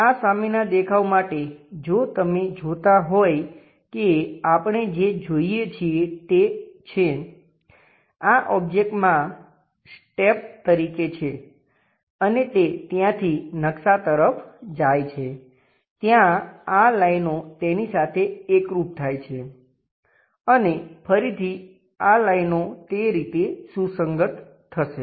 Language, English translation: Gujarati, For this front view if you are looking at that what we are going to see is; this one as the object as a step and that goes maps via there comes there these lines coincides with that and again these lines will coincides in that way